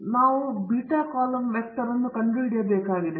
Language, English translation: Kannada, Now, we have to find the beta column vector